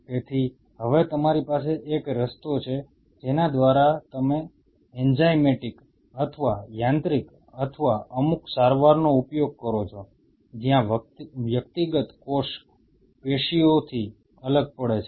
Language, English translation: Gujarati, So now you have to have a way by virtue of which you use some form of enzymatic or mechanical or some treatment, where individual cell dissociate out from the tissue